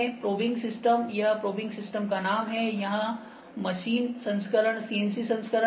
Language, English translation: Hindi, So, probing system this is the name of the probing system here machine version is CNC version